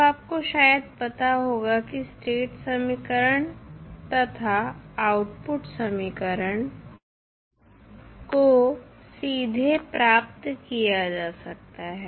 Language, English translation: Hindi, Now, you may be knowing that the state equation and output equations can be obtain directly